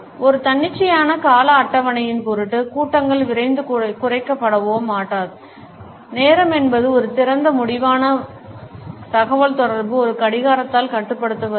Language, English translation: Tamil, Meetings will not be rushed or cut short for the sake of an arbitrary schedule, time is an open ended resource communication is not regulated by a clock